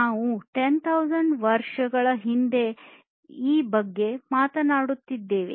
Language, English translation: Kannada, And this we are talking about more than 10,000 years back